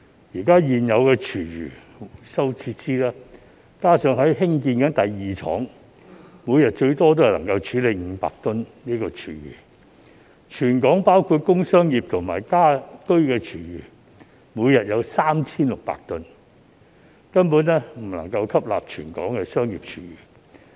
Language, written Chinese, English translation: Cantonese, 現有的廚餘回收設施，加上正在興建的第二廠，每天最多只能處理500公噸廚餘，全港包括工商業和家居廚餘每天則有 3,600 公噸，根本未能吸納全港的商業廚餘。, The existing food waste recycling facility and the second plant under construction only add up to a maximum treatment capacity of 500 tonnes of food waste per day whereas Hong Kong generates 3 600 tonnes of food waste from commercial and industrial sources and households every day . The commercial food waste across the territory cannot be fully absorbed at all